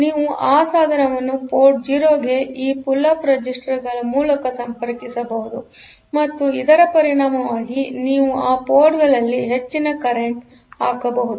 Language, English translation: Kannada, So, you can have this you can connect that device to port 0 and through this pull up resistors and as a result you can put you can put high current onto those ports; over those devices